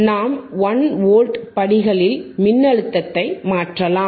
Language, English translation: Tamil, And we can vary the voltage in the steps of 1 volts